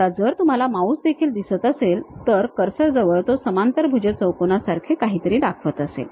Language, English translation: Marathi, Now, if you are seeing even the mouse it itself the cursor level it shows something like a parallelogram